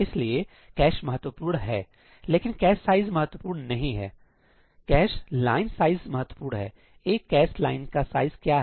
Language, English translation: Hindi, Right, so, that is where the cache comes into play, but for that the cache size is not important; the cache line size is important; what is the size of one cache line